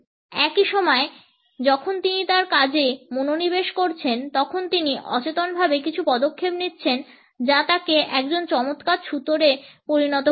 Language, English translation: Bengali, At the same time, while he is concentrating on his work he would also be taking certain steps in an unconscious manner which would make him an excellent carpenter